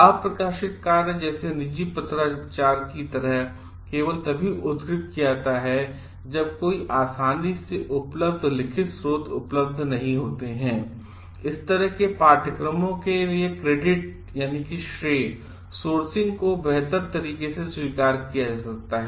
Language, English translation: Hindi, Unpublished work like private correspondence is only cited when no readily available written sources are available; credit sourcing for such courses can be better handled with acknowledgements